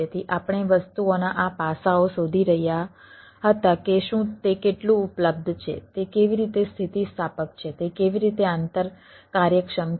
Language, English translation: Gujarati, so we were looking for these aspects of the things like that: whether, how much available, how it is elastic, how what a interoperability